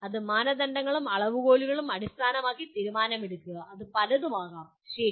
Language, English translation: Malayalam, That is make judgment based on criteria and standards which can be many, okay